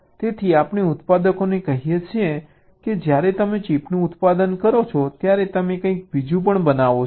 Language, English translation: Gujarati, so so we tell the manufactures that when you manufacture the chip, you also manufacture something else